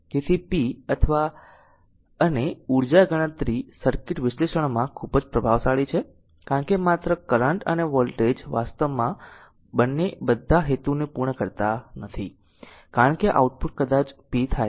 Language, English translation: Gujarati, So, power and energy calculation are very important in circuit analysis because only current and voltage actually both do not serve all the purpose because output maybe power